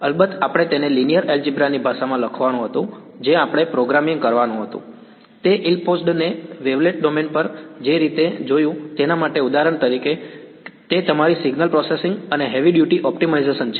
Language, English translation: Gujarati, We of course, had to write it in the language of linear algebra we had to do programming and to get that ill posedness out of the way we looked at the wavelet domain for example, that is your signal processing and heavy duty optimization